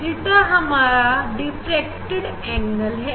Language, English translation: Hindi, Theta is diffracted angle